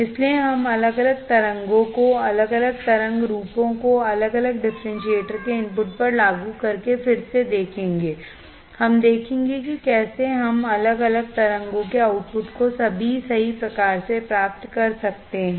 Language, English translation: Hindi, So, we will see again by applying different voltages by applying different wave forms at the input of the differentiator, we will see how we can get the different waveforms at the output of the differentiator all right